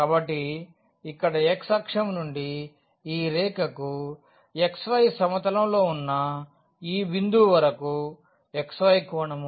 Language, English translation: Telugu, So, this here from the x axis to this line which is in the xy plane to this point xy 0 that is the angle phi